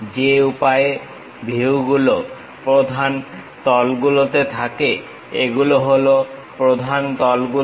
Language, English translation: Bengali, The way views are there on principal planes, these are the principal planes